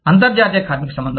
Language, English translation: Telugu, International labor relations